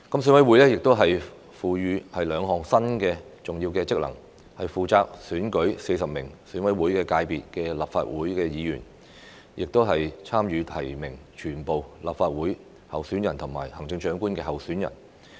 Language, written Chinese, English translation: Cantonese, 選委會獲賦予兩項新的重要職能，負責選舉40名選委會界別的立法會議員，以及參與提名全部立法會議員候選人和行政長官候選人。, The interests of national security and development will thus be more fully protected . EC is vested with two new important functions namely to elect 40 Legislative Council Members from the EC constituency and to participate in the nomination of all the candidates in the Legislative Council election and candidates in the Chief Executive election